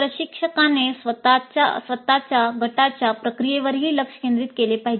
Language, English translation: Marathi, Instructor must also focus on the process of group itself